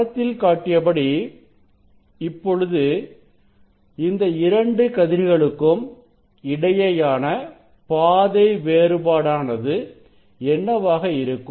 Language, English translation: Tamil, this ray and this ray what are the path difference between this 2 ray